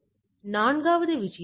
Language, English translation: Tamil, So, this is the 4 thing